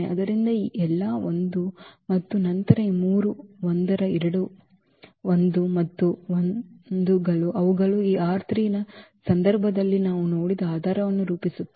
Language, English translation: Kannada, So, all 1 and then these three 1’s two 1’s and 1’s so, they form a basis which we have seen for instance in the case of this R 3